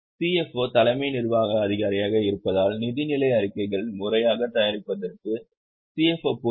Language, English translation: Tamil, CFO is chief executive officer because CFO is will be accountable for proper preparation of financial statements